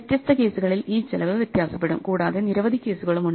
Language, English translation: Malayalam, So, clearly this cost will vary for different case, and there are many number of cases